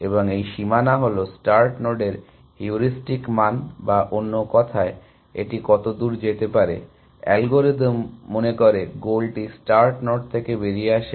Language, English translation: Bengali, And this boundary is the heuristic value of the start node or in other words how far it things, the algorithm thinks the goal is from the start node